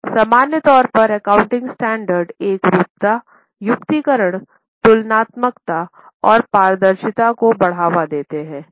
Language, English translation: Hindi, In general, accounting standards promote uniformity, rationalization, comparability and transparency